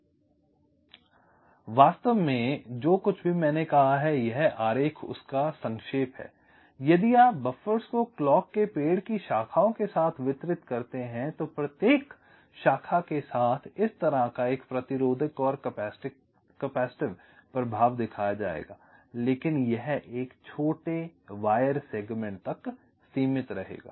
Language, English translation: Hindi, ok, so this diagram actually summarizes whatever i have said diagrammatically: that if you distribute the buffers along the branches of the clock tree, so along each, each branch, there will be a resistive and capacitive effects shown like this, but this will restricted to shorter wire segments, so the rc delays for each of the segments will be much less